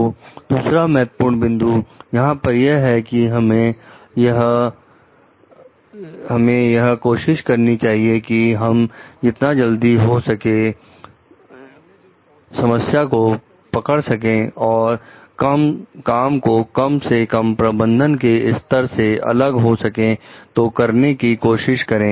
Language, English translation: Hindi, So, another important point over here is that we should try to catch the problems early, and work with the lowest managerial level possible